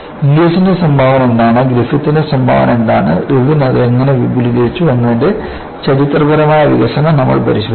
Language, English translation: Malayalam, Then, we looked at historical development of what was the contribution of Inglis, what was the contribution of Griffith and how Irwin extended it